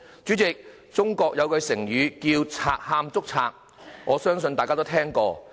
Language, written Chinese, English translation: Cantonese, 主席，中國有句成語叫"賊喊捉賊"，我相信大家都聽過。, President I believe that Members must have heard an idiom in China that is thief crying stop thief